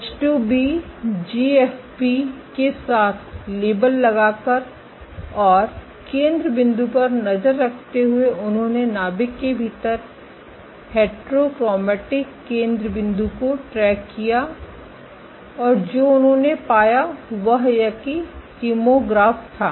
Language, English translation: Hindi, By labeling with H2B GFP, and tracking foci they tracked the heterochromatic foci within the nuclei and what they found was this kymographs